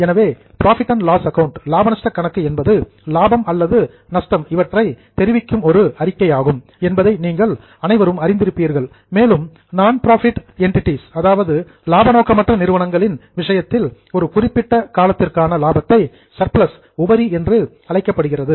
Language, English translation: Tamil, So, as you all know, profit and loss account is a statement which gives you profit or loss and in case of non profit entities it is called as a surplus for a particular period